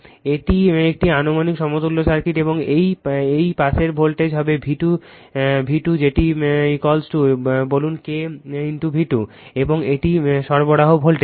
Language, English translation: Bengali, So, this is an approximate equivalent circuit and this side voltage will be V 2 that is equal to say K into V 2, right and this is the supply voltage